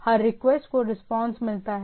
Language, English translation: Hindi, Every request get a response to the thing